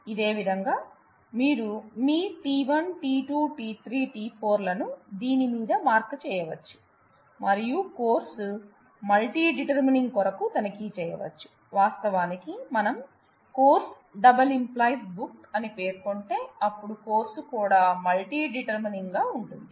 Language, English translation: Telugu, In a similar way you can you can mark your t 1, t 2, t 3, t 4 on this and check for course multi determining the lecturer, actually we will we will soon state that; if course multi determines book, then it is trivial that course will also multi determine lecturer